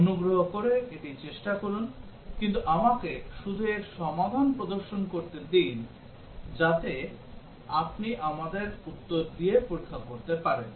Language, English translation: Bengali, Please try this out, but let me just display the solution to this, so that you can check with our answer